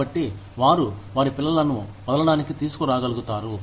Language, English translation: Telugu, So, that they are able to bring their children, drop them off